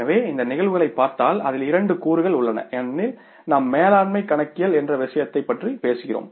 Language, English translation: Tamil, So, if you look at these cases, it involves two components because we are talking about the subject like management accounting